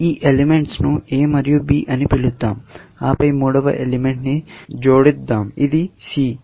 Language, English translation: Telugu, Let us call these elements, A and B, and you are adding a third element, which let us call as C, essentially